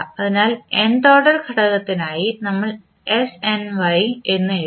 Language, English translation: Malayalam, So, for nth order component we written snY